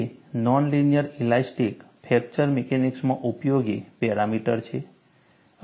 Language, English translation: Gujarati, It is a useful parameter in non linear elastic fracture mechanics